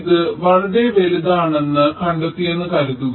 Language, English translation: Malayalam, suppose we find that it is significantly larger